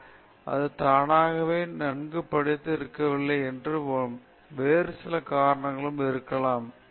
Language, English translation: Tamil, If somebody has not scored marks, we automatically conclude that he has not studied well; there may be many other reasons okay